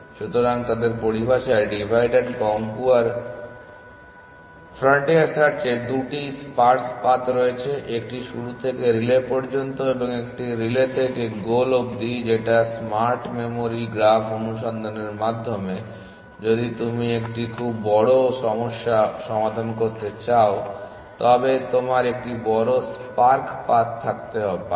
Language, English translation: Bengali, So, in their terminology divide and conquer frontier search has 2 sparse paths 1 from start to relay and 1 form relay to goal in smart memory graph search if you are solving a very large problem, you may have a bigger sparse path